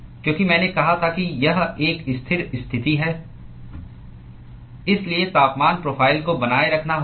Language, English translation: Hindi, Because I said it is a steady state condition, the temperature profile has to be maintained